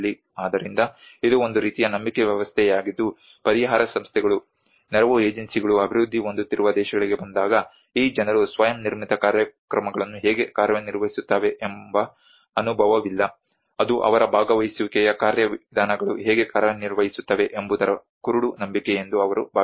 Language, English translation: Kannada, So this is a kind of belief system that when the relief agencies, aid agencies come to the developing countries, they think that these people does not have an experience how the self built programs work how their participatory mechanisms work that is the blind belief